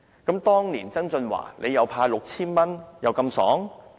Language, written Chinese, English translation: Cantonese, 那麼，當年曾俊華"派 "6,000 元又這麼疏爽？, If so why John TSANG was that generous to hand out 6,000 back then?